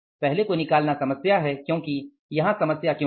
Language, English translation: Hindi, First one is the problem here because why the problem here is